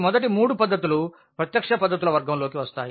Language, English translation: Telugu, So, the first three methods falls into the category of the direct methods